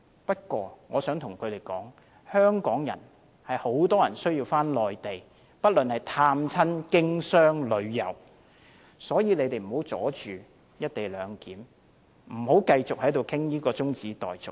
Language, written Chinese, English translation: Cantonese, 不過，我想告訴他們，很多香港人需要返回內地，不論是探親、經商或旅遊，所以請他們不要阻礙"一地兩檢"，不要繼續討論中止待續。, But I want to tell them that many Hong Kong people do need to go to the Mainland for reasons of visiting relatives doing business or sightseeing . Hence I must ask them not to obstruct the implementation of the co - location arrangement and not to continue with this adjournment motion